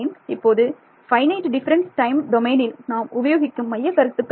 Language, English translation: Tamil, So, we will see why we called that finite difference time domain